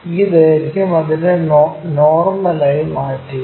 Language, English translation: Malayalam, Transfer this length normal to that